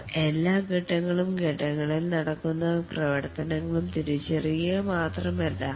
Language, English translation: Malayalam, They are not only they identify all the phases and the activities that take place in the phases